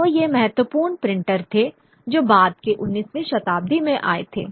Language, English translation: Hindi, So these were the important printers who came about in the later 19th century